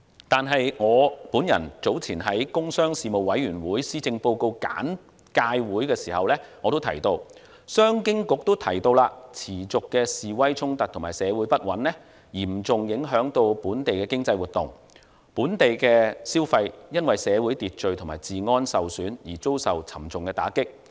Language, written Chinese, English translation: Cantonese, 但是，我早前在工商事務委員會施政報告簡介會時提到，商務及經濟發展局也提到，持續的示威衝突和社會不穩嚴重影響本地經濟活動，本地消費因社會秩序及治安受損而遭受沉重打擊。, However as I mentioned earlier at the policy briefing of the Panel on Commerce and Industry and as the Commerce and Economic Development Bureau CEDB has also mentioned the persistent demonstrations clashes and social unrest have a severe impact on local economic activities and local consumer spending has been hit hard by the damage to social order and security